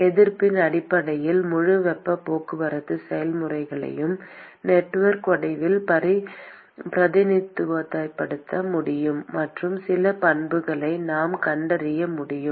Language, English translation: Tamil, Simply based on the resistances, we will be able to represent the whole heat transport process in the form of a network and we are able to detect some properties